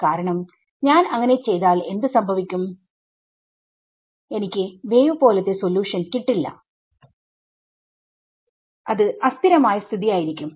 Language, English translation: Malayalam, Because if I do it what happens I would not get a wave like solution only it is a unstable situation